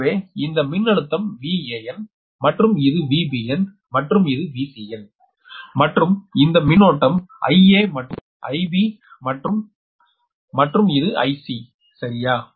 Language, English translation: Tamil, so this volt, this is v a n, this is v b n, this is v c, n and current it is i a, this is your i b and this is i c right and this is your